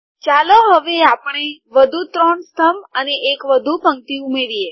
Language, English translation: Gujarati, Now let us add three more columns and one more row